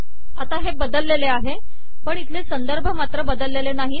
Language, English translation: Marathi, So this has changed but the referencing here has not changed